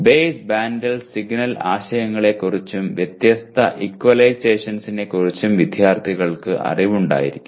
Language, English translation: Malayalam, Students will be aware of base band signal concepts and different equalizers